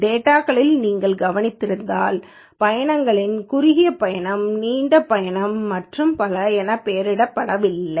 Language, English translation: Tamil, If you would have noticed in the data the trips are not labeled as short trip, long trip and so on